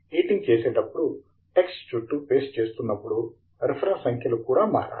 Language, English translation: Telugu, We can now see that as we copy paste the text around while editing, then the reference numbers also should change